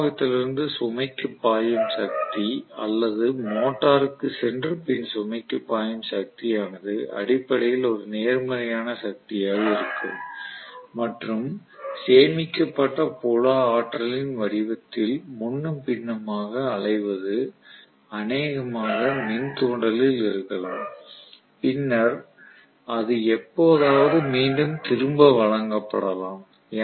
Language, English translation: Tamil, The power what flows from the supply in to the load or into the motor and then to the load that is essentially a positive power or real work done and what is going back and forth in the form of stored field energy probably in the inductance and then it is given back during sometime